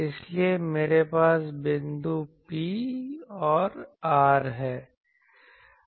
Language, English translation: Hindi, So, P is all these points P